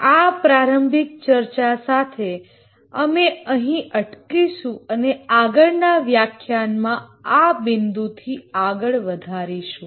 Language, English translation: Gujarati, With this introductory discussion, we'll stop here and continue from this point in the next lecture